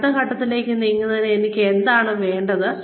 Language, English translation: Malayalam, What do I need in order to, move to the next level